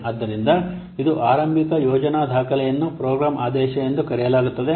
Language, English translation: Kannada, So this is the initial planning document is known as the program mandate